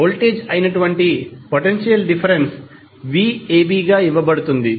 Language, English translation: Telugu, So, potential difference, that is, voltage is given as v ab